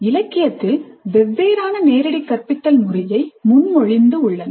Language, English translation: Tamil, Several models for direct instruction have been proposed in the literature